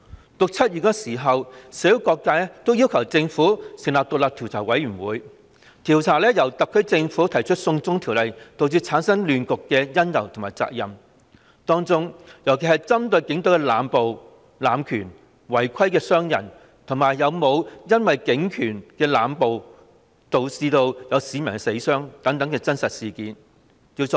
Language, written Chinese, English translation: Cantonese, 在6月、7月時，社會各界均要求政府成立獨立調查委員會，調查因特區政府提出"送中條例"而導致的亂局的因由和責任，當中特別針對調查警隊濫捕、濫權、違規傷人，以及是否有市民因警暴而死傷等事實真相。, In June and July various sectors of the community urged the Government to form an independent commission of inquiry to look into the causes of the social disorder arising from the SAR Governments proposal of the China extradition bill as well as the issue of who should be held accountable . In particular a point was made to investigate the Polices arbitrary arrests abuse of power and actions causing injuries in violation of rules and to find out whether there were citizens who died or suffered injuries as a result of police brutality